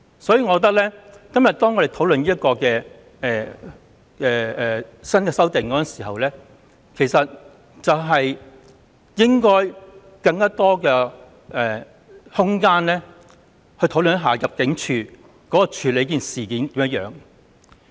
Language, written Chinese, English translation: Cantonese, 所以，我認為我們今天討論新的修訂時，其實應該給予更多空間討論入境處怎樣處理這些個案。, So I hold that in discussing these new amendments today we should have more discussion about how ImmD is going to handle such cases